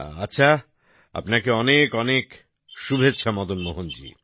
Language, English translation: Bengali, Fine, my best wishes to you Madan Mohan ji